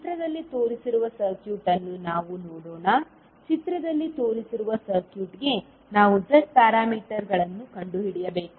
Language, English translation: Kannada, Let us see the circuit which is given in the figure we need to find out the Z parameters for the circuit shown in the figure